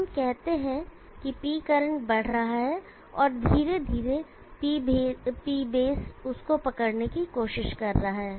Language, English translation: Hindi, So let us say the P current is moving up and P base is slowly also moving try to catch up with it